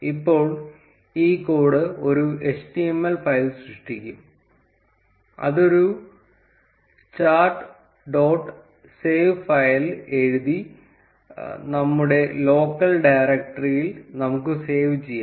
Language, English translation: Malayalam, Now this code will generate an html file, which we can save in our local directory by writing chart dot save file